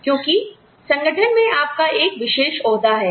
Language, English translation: Hindi, Because, you have a certain special status in the organization